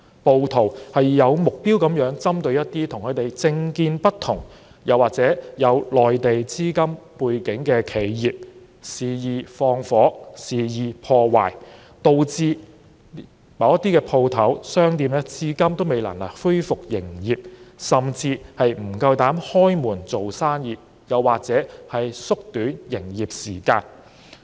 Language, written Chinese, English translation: Cantonese, 暴徒有目標地針對與他們政見不同，又或有內地資金背景的企業，肆意縱火及破壞，導致某些商鋪至今未能恢復營業，甚至不敢營業，又或縮短營業時間。, Rioters targeted at people with different political views and companies with Mainland capital background setting fires to them and vandalizing them wantonly . As a result some shops cannot resume business even now or dare not open or have to shorten their business hours